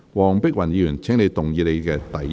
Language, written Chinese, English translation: Cantonese, 黃碧雲議員，請動議你的第一項修正案。, Dr Helena WONG you may move your first amendment